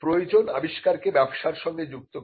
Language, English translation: Bengali, Utility connects the invention to the to business